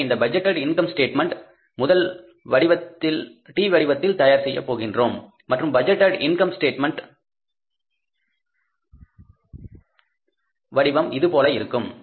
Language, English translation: Tamil, So, we will prepare first the format of this budgeted income statement and the format of budgeted income statement is something like this